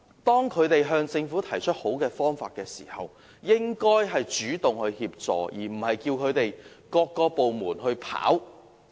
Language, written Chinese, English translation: Cantonese, 當他們向政府提出好的方法時，政府應主動協助，而不是叫他們自行接觸各個政府部門。, If someone puts forward a viable solution the Government should take the initiative to provide assistance rather than ask them to contact various government departments on their own